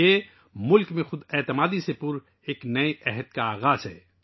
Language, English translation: Urdu, This is the beginning of a new era full of selfconfidence for the country